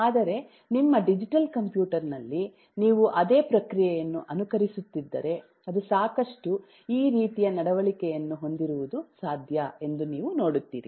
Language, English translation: Kannada, but if you are simulating that same process in your digital computer, it is quite possible that you will see this kind of behavior